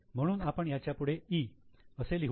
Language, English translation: Marathi, So, we will put it as E